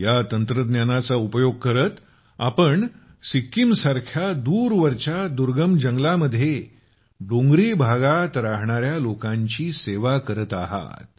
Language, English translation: Marathi, By using this technology, you are doing such a great service to the people living in the remote forests and mountains of Sikkim